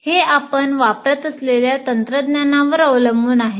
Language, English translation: Marathi, It depends on the kind of technology that you are using